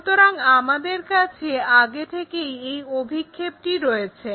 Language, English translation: Bengali, So, this is the projection what we have already